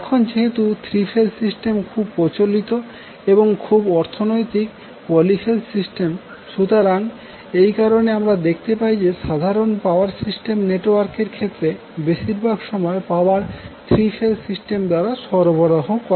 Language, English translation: Bengali, Now, since 3 phase system is most prevalent in and most economical poly phase system, so, that is why you will see in the normal power system network, most of the time the power is being supplied through 3 phase system